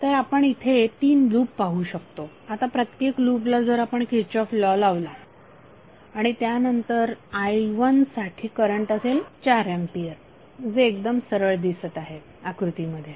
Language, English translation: Marathi, So we see there are 3 loops now for each loop if we apply the kirchhoff's law then for i1 the current would be 4 ampere which is straight away you can see from the figure